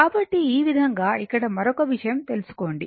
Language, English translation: Telugu, So, this way you take another point here